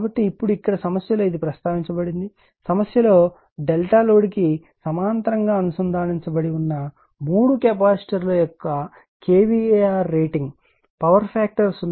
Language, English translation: Telugu, So, now, , in the here in the problem it is mentioned , that in the , problem it is mentioned that that you are the kVAr rating of the three capacitors delta connected in parallel the load to raise the power factor 0